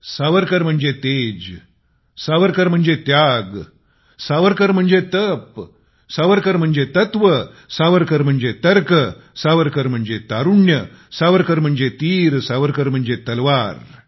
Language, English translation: Marathi, Atal ji had said Savarkar means brilliance, Savarkar means sacrifice, Savarkar means penance, Savarkar means substance, Savarkar means logic, Savarkar means youth, Savarkar means an arrow, and Savarkar means a Sword